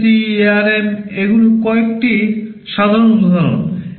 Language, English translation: Bengali, PIC, ARM these are some typical examples